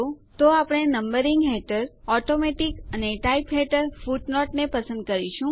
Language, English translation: Gujarati, So we will select Automatic under Numbering and Footnote under Type Now click on the OK button